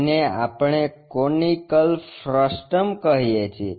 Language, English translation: Gujarati, Which which is what we call conical frustum